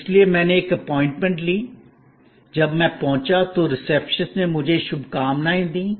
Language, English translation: Hindi, So, I called for an appointment, an appointment was given, when I arrived the receptionist greeted me